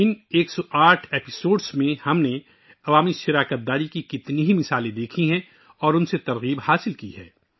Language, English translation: Urdu, In these 108 episodes, we have seen many examples of public participation and derived inspiration from them